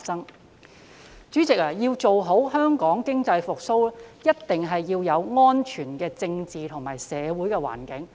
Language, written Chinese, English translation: Cantonese, 代理主席，要做好香港經濟復蘇的工作，一定要有安全的政治及社會環境。, Deputy President in order to achieve success in reviving Hong Kongs economy there must be a safe political and social environment